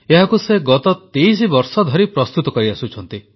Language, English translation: Odia, ' He has been presenting it for the last 23 years